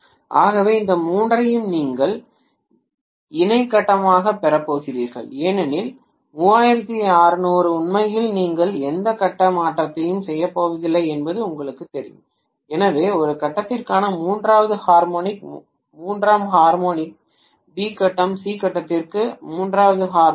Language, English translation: Tamil, So because of which you are going to have all these three as co phasal because 360 degrees is actually you know you are not going to have any phase shift at all, so if you look at the third harmonic for A phase, third harmonic for B phase, third harmonic for C phase